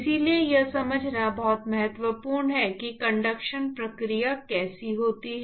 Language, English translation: Hindi, So, it is very important to understand how the conduction process occurs